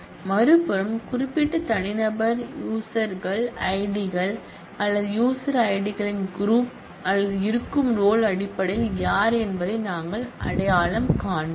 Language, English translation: Tamil, And on the other side, we will identify who in terms of specific individual user IDs or groups of user IDs or roles that exist